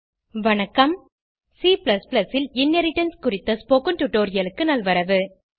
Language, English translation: Tamil, Welcome to the spoken tutorial on Inheritance in C++